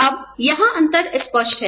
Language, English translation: Hindi, Now, the differences are clearer here